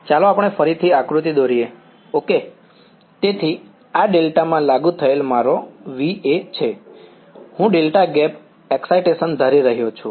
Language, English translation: Gujarati, Let us draw are diagram again ok, so this is my Va applied across delta; I am assuming a delta gap excitation ok